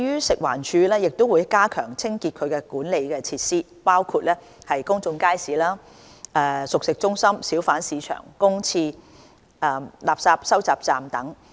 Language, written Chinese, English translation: Cantonese, 食環署會加強清潔其管理的設施，包括公眾街市、熟食中心、小販市場、公廁、垃圾收集站等。, FEHD will step up the cleaning of public facilities under its management including public markets cooked food centres hawker bazaars public toilets and refuse collection points